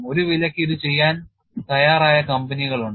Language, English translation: Malayalam, There are companies ready to do this for a price